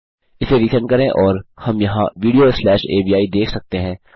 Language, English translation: Hindi, Right re send that and we can see theres a video slash avi